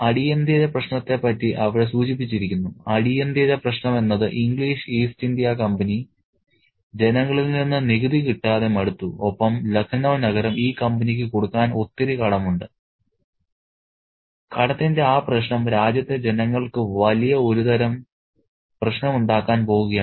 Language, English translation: Malayalam, So, the immediate problem is hinted at there, the immediate problem is the English East India Company that is getting tired of not receiving the taxes from the people and the city of Lucknow is getting indebted to this company and that issue of debt is going to bring some kind of massive trouble for the people of the country